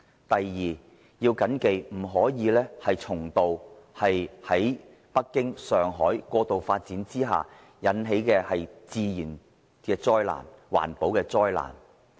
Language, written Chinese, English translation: Cantonese, 第二，不可以重蹈北京、上海過度發展之下引起的自然及環保災難的覆轍。, Second we should avoid the mistakes of Beijing and Shanghai which have natural and environmental calamities because of excessive development